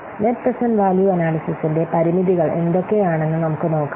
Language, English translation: Malayalam, So let's see what are the limitations of net present value analysis